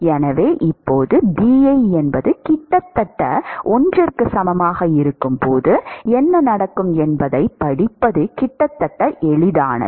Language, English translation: Tamil, So now, it is almost easy to read what happens when Bi is almost equal to 1